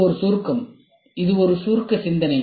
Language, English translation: Tamil, It is an abstraction, it is an abstract thought